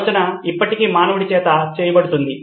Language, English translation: Telugu, The thinking is still done by the human